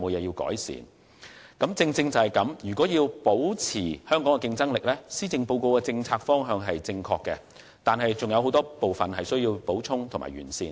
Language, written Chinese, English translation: Cantonese, 有見及此，要保持香港的競爭力，施政報告的政策方向是正確的，但尚有很多部分需要補充和完善。, In view of this maintaining the competitiveness of Hong Kong is a correct policy direction for the Policy Address except that additions and refinements are still required in many respects